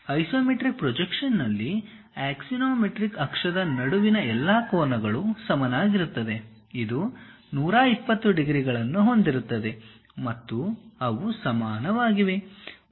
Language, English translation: Kannada, In isometric projection, all angles between axiomatic axis are equal; it is supposed to make 120 degrees and they are equal